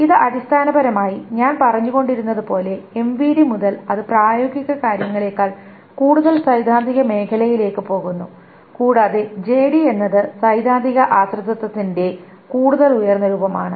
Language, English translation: Malayalam, This is essentially as I have been saying that from MVD onwards it goes into the realm of more theoretical than practical things and JD is an even more higher form of theoretical dependency